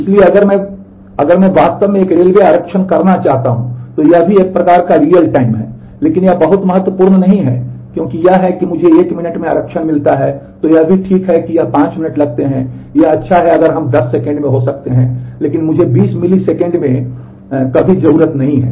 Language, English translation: Hindi, So, if I if I if I really want to do a railway reservation that also is a kind of real time, but that is not very critical because it is if I get the reservation done in one minute, it is also ok, if it takes 5 minutes, it is good if we can happen in 10 seconds, but I do not ever need it in say 20 millisecond